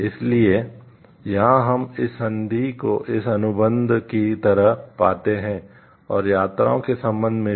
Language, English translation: Hindi, So, here we find like this convention this contract and also in that with respect to trips